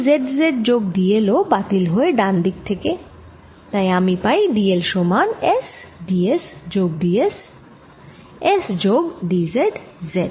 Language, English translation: Bengali, this term cancels with z z on the right hand side and therefore i get d l is equal to s d s plus d s, s plus d z z